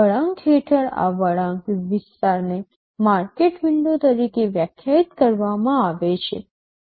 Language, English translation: Gujarati, This curve area under the curve is defined as the market window